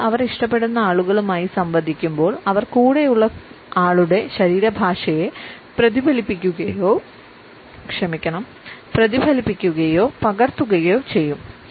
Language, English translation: Malayalam, When people converse with people they like, they will mirror or copy the other person’s body language